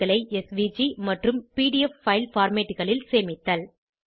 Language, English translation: Tamil, Save the charts in SVG and PDF file formats